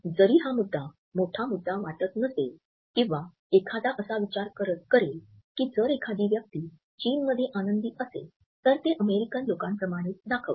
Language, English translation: Marathi, While this might not seem like a large issue or one would think that if a person is happy in China, they will show it the same way as if Americans do